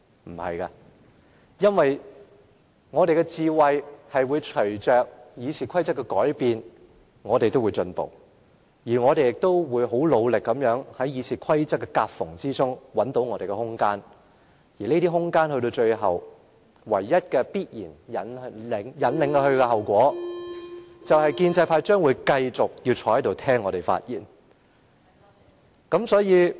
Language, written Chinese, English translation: Cantonese, 不是的，因為我們的智慧會隨着《議事規則》的改變而提升，而我們亦會很努力在《議事規則》的夾縫中找到我們的空間，而這些空間到了最後必然引領的後果，就是建制派議員將繼續要坐在這裏聽民主派議員發言。, No our wisdom will grow with the amendment of RoP and we will try hard to find our room of existence in the gaps of the amended RoP . Given our room of existence the inevitable outcome is that pro - establishment Members still have to sit here listening to speeches made by democratic Members